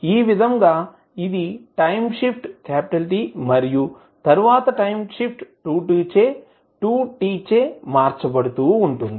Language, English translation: Telugu, So, this is time shifted by T then time shifted by 2T and so on